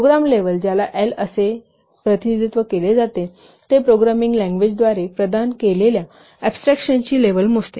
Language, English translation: Marathi, The program level which is represented as L, it measures the level of abstraction which is provided by the programming language